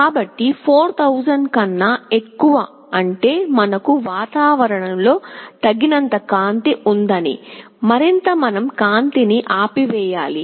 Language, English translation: Telugu, So, greater than 4000 means we have sufficient light in the ambience, and we have to switch OFF the light